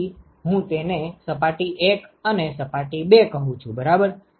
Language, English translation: Gujarati, So, I call it surface 1 and surface 2 right